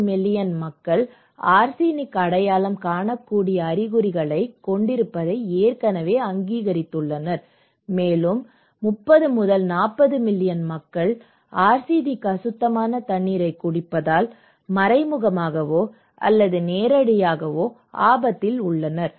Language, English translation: Tamil, 2 million people of Bangladesh already recognised identifiable symptoms of arsenic, okay and 30 to 40 million people are at risk indirectly or directly because they are drinking arsenic contaminated water, it is not a small number, 30 to 40 million population